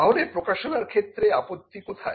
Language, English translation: Bengali, So, what is bad about publication